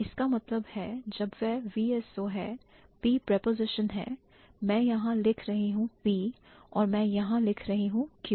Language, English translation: Hindi, So, that means when it is VSO, P that is the preposition, so I am writing P here and I am writing Q here